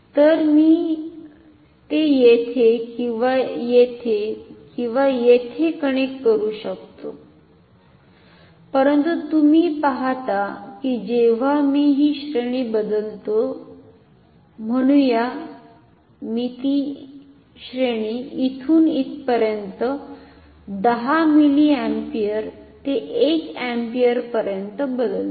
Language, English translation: Marathi, So, I can connect it here or here or here, but you see that when I change the range say I change the range from here to here 100 milliampere to 1 ampere